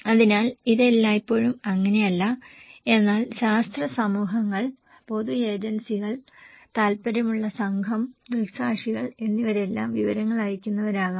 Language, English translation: Malayalam, So, which is not always the case but scientific communities, public agencies, interest group, eye witness they all could be senders of informations